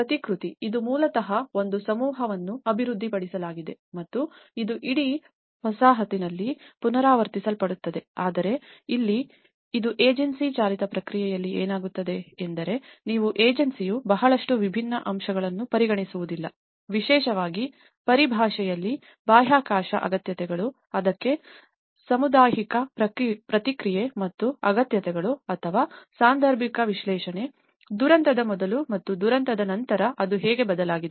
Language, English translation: Kannada, Whereas the replication, it is basically a cluster has been developed and that would be replicated in the whole settlement but here in this and this in the agency driven process what happens is you the agency will not consider a lot of differential aspects especially, in terms of space requirements, the communal response to it and the needs or the situational analysis, how it has changed before disaster and after disaster